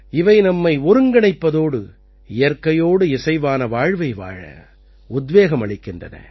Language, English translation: Tamil, They inspire us to live in harmony with each other and with nature